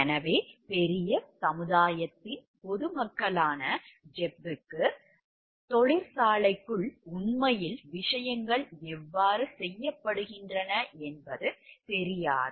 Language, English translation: Tamil, So, people the larger society, the Gepp did not know the civilians like how actually things are getting done inside the plants